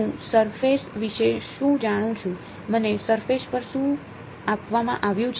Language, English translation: Gujarati, What do I know about the surface, what is been given to me in the surface